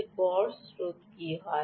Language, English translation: Bengali, then what is the average current